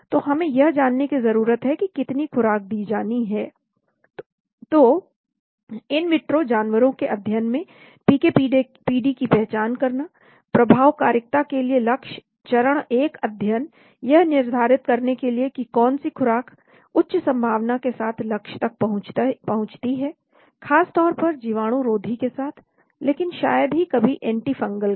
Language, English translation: Hindi, So we need to know how much dose is to be given, so in vitro animal studies to identify PK PD, target for efficacy, phase 1studies to determine which dose react reach the target with high probability mostly with antibacterial, but rarely with antifungal